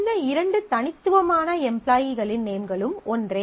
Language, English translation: Tamil, The names of these two distinct employees are same